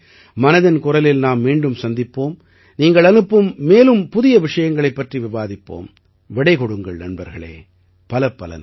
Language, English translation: Tamil, Next time in 'Mann Ki Baat' we will meet again and discuss some more new topics sent by you till then let's bid goodbye